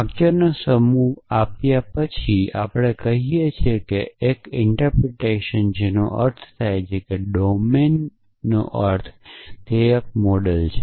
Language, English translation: Gujarati, So, given a set of sentences s we say that a interpretation which means a domain an interpretation is a model for s